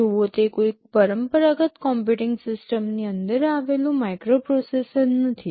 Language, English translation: Gujarati, Well it is not a microprocessor sitting inside a traditional computing system